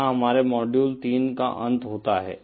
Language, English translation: Hindi, That brings us to an end of module 3